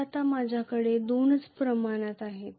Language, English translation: Marathi, So I have now two quantities only